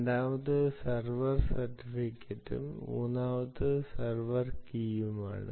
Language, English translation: Malayalam, the second one is the ah server certificate and the third one is the server key